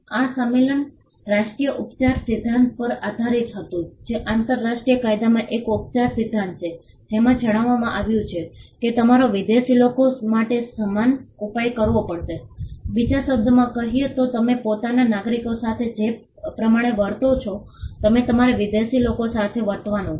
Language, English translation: Gujarati, The convention was based on the national treatment principle which is a treatment principle in international law stating that you have to extend equal treatment for foreigners, in other words you would treat foreigners as you would treat your own nationals